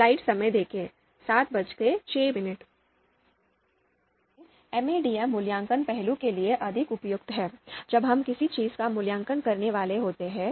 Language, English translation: Hindi, So MADM is more suitable for evaluation facet, when we are supposed to evaluate something